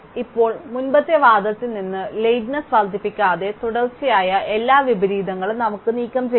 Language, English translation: Malayalam, Now, from the previous argument we can remove every consecutive inversion without increasing lateness